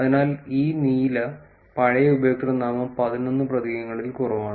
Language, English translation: Malayalam, So, this is blue is old username is less than eleven characters